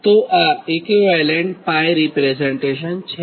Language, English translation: Gujarati, so what will be the equivalent pi representation